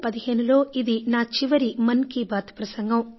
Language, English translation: Telugu, This will be the last edition of Mann ki Baat in 2015